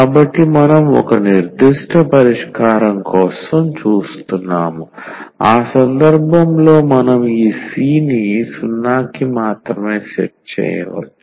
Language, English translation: Telugu, So, we are looking for a particular solution, in that case we can set just this C to 0